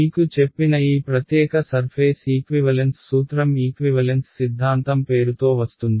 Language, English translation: Telugu, By the way this particular surface equivalence principle that I told you goes by the name of Love’s equivalence theorem